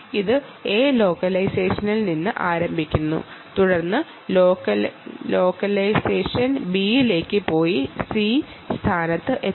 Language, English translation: Malayalam, right, it starts from a location a, ah, then goes to location b and then reaches location c